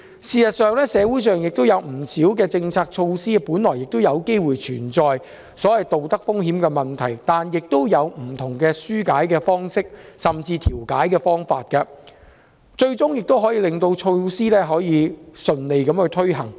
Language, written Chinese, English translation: Cantonese, 事實上，社會不少政策措施本來就有機會存在所謂道德風險的問題，但也有不同的紓解方式，甚至調解方法，最終也可令措施順利推行。, In fact many policy measures in society primarily have the chance of incurring the so - called risk of moral hazard which nevertheless can be alleviated or resolved in different ways hence enabling the smooth implementation of the measures ultimately